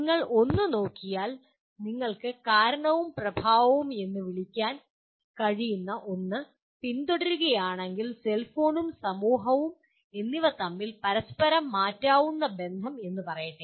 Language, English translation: Malayalam, And if you look at one can trace the, what do you call the cause and effect relationship, interchangeable relationship between let us say cellphone and society